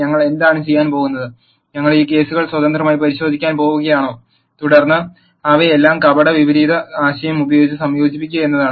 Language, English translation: Malayalam, What we are going to do, is we are going to look into these cases independently, and then combine all of them using the concept of pseudo inverse